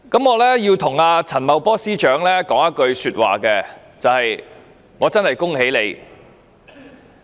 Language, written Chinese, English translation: Cantonese, 我要對陳茂波司長說一句話，就是我真的恭喜他。, I have to say to Financial Secretary Paul CHAN that I truly congratulate him